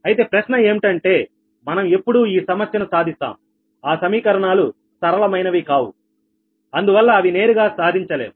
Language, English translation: Telugu, so question is that that when we will solve this problem, when we will this problem ah, it is non linear, equations will come directly cannot be solved, right